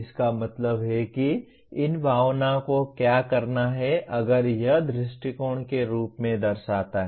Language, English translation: Hindi, That means what these feelings do is if the, it reflects in the form of approach